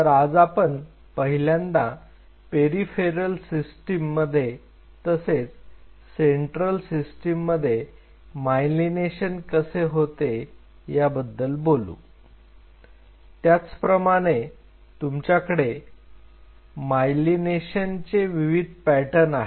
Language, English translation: Marathi, So, today the first thing we will do we will talk about how the myelination happens in the peripheral system as well as in the central system and they have a very different pattern of myelination